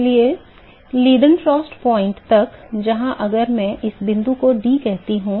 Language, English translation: Hindi, Therefore, till the Leiden frost point where if I call this point D